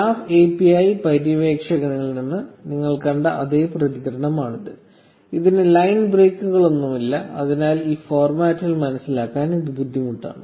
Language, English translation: Malayalam, This is exactly the same response you saw from the Graph API explorer, except that this has no line breaks, so it is harder to understand in this format